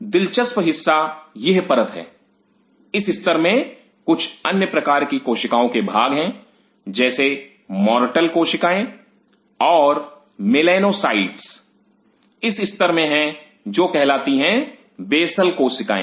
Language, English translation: Hindi, The interesting part is this layer this layer contains some apart from other cells like mortal cells and melanocytes this layer contains something called basal cells